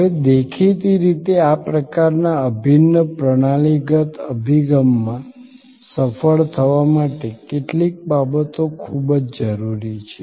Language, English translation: Gujarati, Now; obviously to be successful in this kind of integral systemic approach, certain things are very necessary